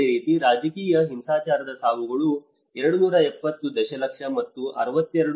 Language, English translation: Kannada, Similarly, you can see the deaths of the political violence is 270 millions and 62